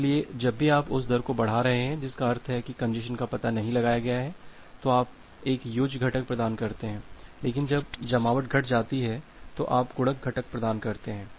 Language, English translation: Hindi, So, whenever you are increasing the rate that mean the congestion is not detected, you provide an additive component, but when congestion is decremented you provide the multiplicative components